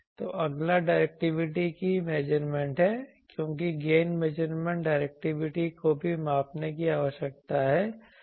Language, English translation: Hindi, So, next is measurement of directivity because gain measurement directivity also needs to be measured